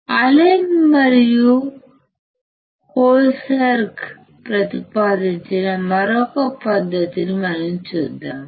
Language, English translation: Telugu, We can see another method that is proposed by Allen and Holberg